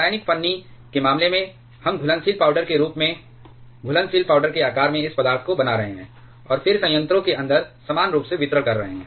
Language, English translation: Hindi, In case of chemical shim, we are making this material in the shape of soluble powder in the form of a soluble powder, and then distributing that inside the reactor uniformly distributing there solution